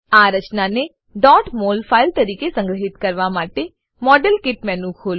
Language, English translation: Gujarati, To save this structure as a .mol file, open the Modelkit menu